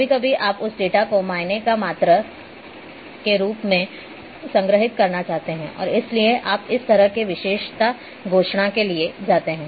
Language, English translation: Hindi, So, sometimes you want to store that data as counts or amounts and therefore, you go for this kind of attribute declaration